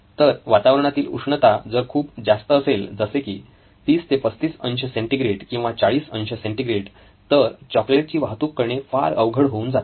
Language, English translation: Marathi, So if their ambient temperature is very very high, say in the order of 30 35 degrees or 40 degrees it’s going to be very difficult transporting these chocolates